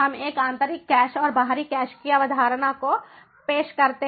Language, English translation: Hindi, so we introduce the concept of internal cache and external cache